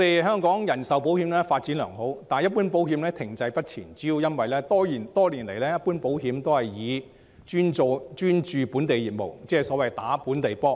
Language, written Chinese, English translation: Cantonese, 香港的人壽保險發展良好，但一般保險發展卻停滯不前，主要因為多年來一般保險只專注本地業務，即所謂打"本地波"。, The life insurance business has been developing very well in Hong Kong whilst the general insurance business remains stagnant mainly because the latter has always been setting their eyes on the local market